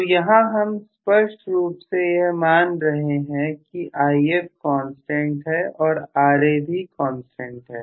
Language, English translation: Hindi, So I am assuming clearly here If is a constant and Ra is a constant